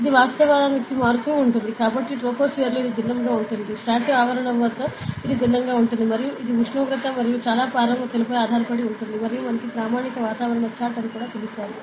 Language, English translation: Telugu, So, it actually varies, so in the troposphere it will different, stratosphere it will be different and it depends on temperature and a lot of parameters and we have something called as standard atmospheric chart